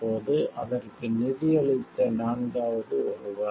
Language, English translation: Tamil, Now, fourth one who financed it